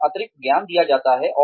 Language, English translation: Hindi, They are given additional knowledge